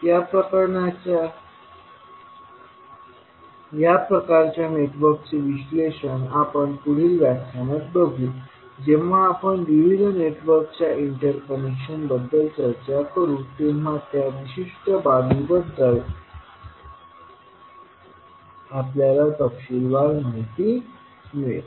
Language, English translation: Marathi, So analysis of these kind of networks we will see the next lecture when we discuss about the interconnection of various networks, we will see that particular aspect in detail